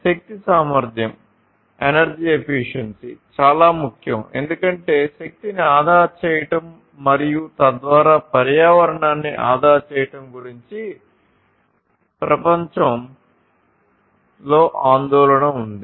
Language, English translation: Telugu, So, nowadays, energy efficiency is very important also because there is globally a global concern about saving energy and thereby saving the environment